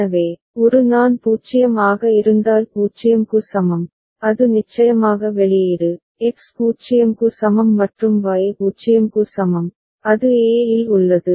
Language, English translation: Tamil, So, at a I is equal to 0 if it is 0, it is output of course, is X is equal to 0 and Y is equal to 0, it remains at a